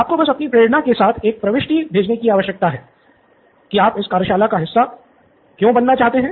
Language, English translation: Hindi, All you need to do is send in an entry with your motivation on why you want to be part of this workshop and what is it that really want to be solving it